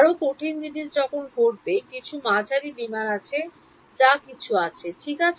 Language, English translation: Bengali, The more difficult things happen when there is some medium some aircraft or whatever is there right